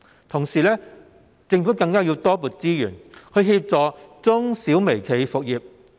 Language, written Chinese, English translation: Cantonese, 同時，政府更要多撥資源協助中小微企復業。, Meanwhile the Government has to allocate more resources to help MSMEs resume business